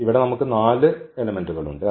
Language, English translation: Malayalam, So, here we have 4 elements